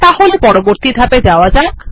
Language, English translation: Bengali, So let us go to the next step